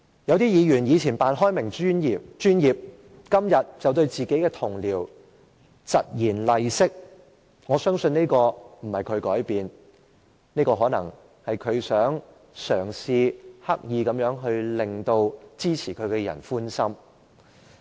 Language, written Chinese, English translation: Cantonese, 有些議員在過去扮開明、扮專業，但今天卻對自己的同事疾言厲色，我相信並不是他改變了，這可能是他嘗試刻意地要討支持他的人的歡心。, Some Members who pretended to be open - minded and professional in the past are harsh and critical towards their colleagues today . I believe it is not because he has changed only that he may be deliberately trying to please his supporters